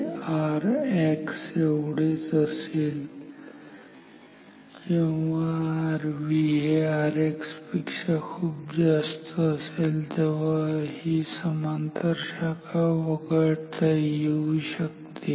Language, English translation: Marathi, This will be same as R X only if R V is much higher than R X then the parallel branch can be ignored